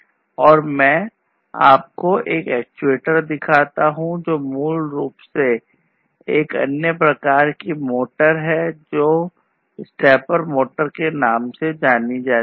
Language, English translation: Hindi, And let me show you another actuator which is basically another type of motor which is known as the stepper motor